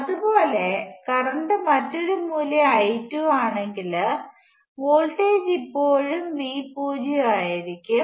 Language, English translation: Malayalam, Similarly, if the current were a different value I 2, voltage would still be V naught